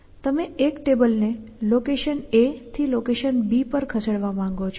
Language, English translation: Gujarati, And you want to move let say 1 table from location a to location b